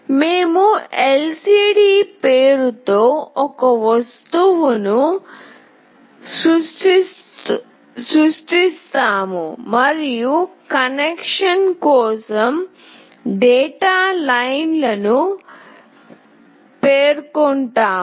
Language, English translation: Telugu, We create an object with the name lcd and we specify the data lines for connection